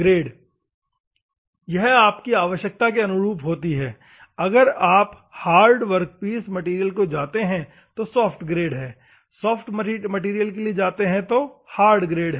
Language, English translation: Hindi, Grade; depend on your requirement if at all you want to go for to do hard workpiece material you have to go for the soft grade, soft material you have to go for a hard grade